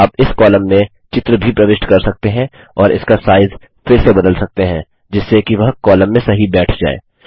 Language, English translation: Hindi, You can even insert a picture in the column and resize it so that it fits into the column